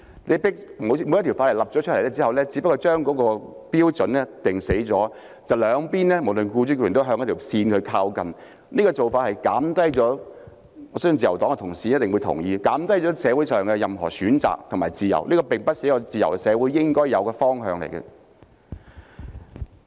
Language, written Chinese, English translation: Cantonese, 一項法例訂立後，只是將標準限死，無論僱主或僱員也只能向那條線靠近，我相信自由黨同事一定會同意，這種做法只是減低社會上的所有選擇和自由，並不是一個自由社會應該有的方向。, Upon enactment a piece of legislation would only set a hard - and - fast standard . Both employers and employees can only bring themselves closer to compliance . I believe that colleagues from the Liberal Party will definitely agree that this approach which only reduces the overall choice and freedom in society is not the direction that a free society should take